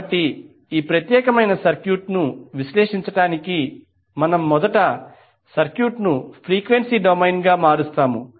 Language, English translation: Telugu, So to analyze this particular circuit we will first transform the circuit into frequency domain